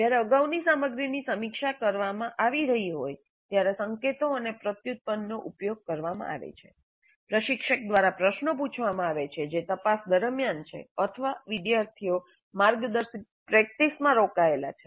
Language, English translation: Gujarati, Cues and prompts are used when the previous material is being reviewed, questions are being asked by the instructor that is during probing, or students are engaged in guided practice